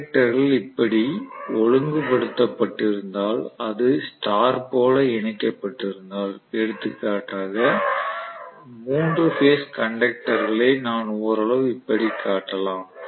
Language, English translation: Tamil, So if this is the way the conductors are arranged I can show them if it is star connected, for example I can show the 3 phase conductors somewhat like this